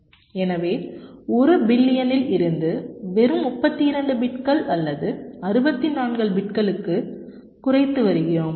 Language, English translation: Tamil, so from one billion we come down to just thirty two bits or sixty four bits